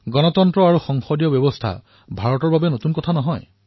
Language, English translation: Assamese, What is a republic and what is a parliamentary system are nothing new to India